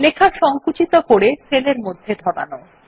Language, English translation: Bengali, Shrink this text to fit in the cell